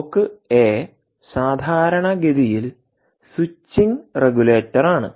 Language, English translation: Malayalam, that block, indeed, is a switching regulator